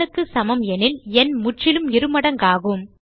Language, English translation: Tamil, If it is not equal to n, the number is not a perfect square